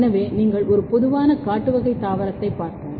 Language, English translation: Tamil, So, if you look a typical wild type plant